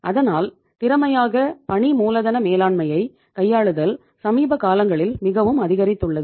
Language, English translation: Tamil, The need of efficient working capital management has thus become greater in the recent years right